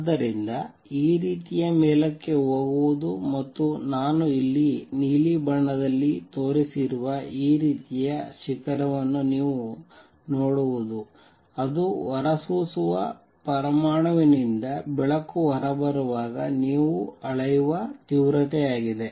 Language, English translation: Kannada, So, this is how this kind of going up and coming down this kind of peak I have shown in blue is the kind of peak that you see is kind of intensity you measure when light is coming out of an atom that is emitting, alright